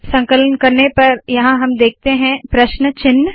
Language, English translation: Hindi, On compiling it, we see question marks here